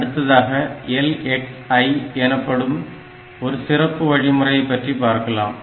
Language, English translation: Tamil, So, the next instruction that we will look into is a special instruction which is called LXI